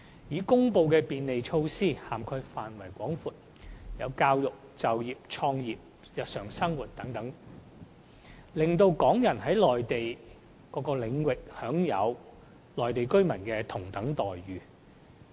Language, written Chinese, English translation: Cantonese, 已公布的便利措施涵蓋範圍廣闊，包括教育、就業、創業和日常生活等方面，讓港人在內地各個領域享有與內地居民同等的待遇。, These measures grant national treatment to Hong Kong people in a wide range of areas including education employment business start - up and daily living